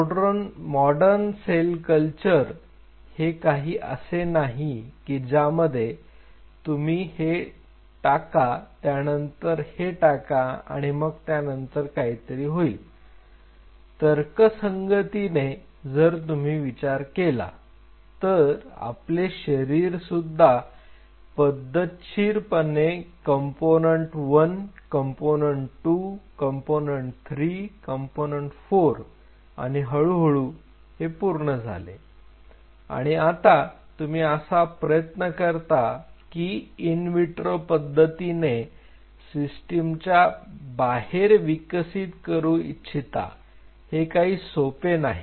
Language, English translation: Marathi, The modern day cell culture is no more like you know add this add that and something happened no you have to think rationally our body has formed in a systematic way component 1 component 2 component 3 component 4 and slowly it has built it itself and now what you are trying to do is he wanted to see an in vitro development outside the system that is not an easy job